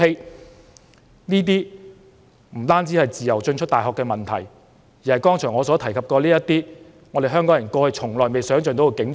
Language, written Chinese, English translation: Cantonese, 主席，這些情況不單涉及人們能否自由進出大學的問題，更關於我剛才所提及的那種香港人過去從未想象過的景象。, President these situations involved not only free entrance and exit of universities but also the kind of scene that Hong Kong people have never imagined before